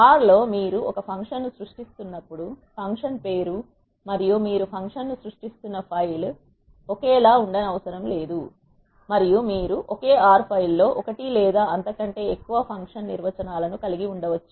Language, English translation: Telugu, In R when you are creating a function the function name and the file in which you are creating the function need not be same and you can have one or more function definitions in a single R file